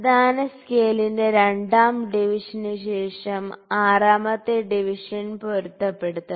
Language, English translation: Malayalam, So, 6th division after the second division of the main scale has to coincide